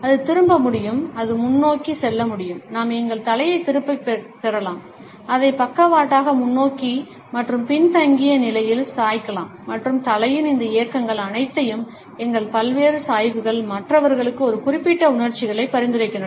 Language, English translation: Tamil, It can turn, it can just forward; we can withdraw our head, we can tilt it sideways, forward and backward and all these movements of the head, our various tilts suggest a particular set of emotions to the other people